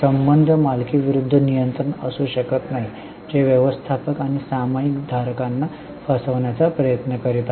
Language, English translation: Marathi, The relationship should not be ownership versus control that managers are trying to cheat the shareholders